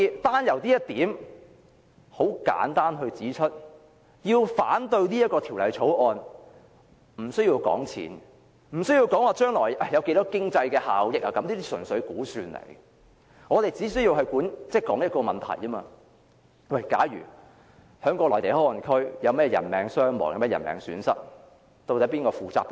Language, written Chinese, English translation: Cantonese, 單就這一點而言，我可以很簡單地指出，反對《條例草案》不需要談金錢或將來有多少經濟效益，這些純粹是估算；我們只須討論一個問題：假如內地口岸區有人命傷亡或損失，究竟由誰負責？, As far as this point is concerned I can simply point out that in opposing the Bill we need not talk about money or how much economic benefit there will be in the future . These are just estimates . We need only discuss one question if there is any casualty or damage in MPA who will actually be responsible?